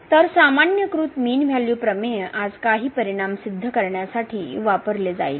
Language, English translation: Marathi, So, this generalized mean value theorem will be used today to prove sum of the results